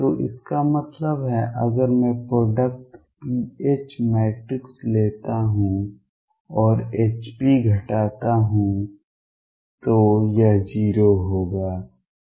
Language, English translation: Hindi, So that means, if I take the product pH matrix and subtract hp this would be 0 right